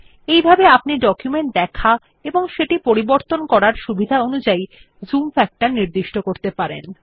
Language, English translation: Bengali, Likewise, you can change the zoom factor according to your need and convenience for viewing and editing the documents